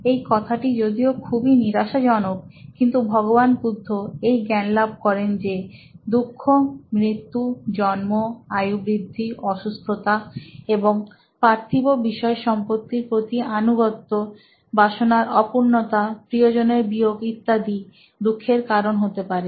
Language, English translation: Bengali, Now, it may seem like a depressing place to start but Lord Buddha sighted that suffering could be because of death, birth, ageing, diseases and your attachment to material possessions of your not meeting your desires, or losing somebody that you like